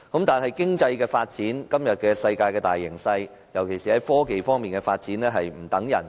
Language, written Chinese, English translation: Cantonese, 但是，經濟發展和世界大形勢，尤其是科技發展方面，卻是"不等人"的。, But economic development and the world trend especially technology development will not wait for you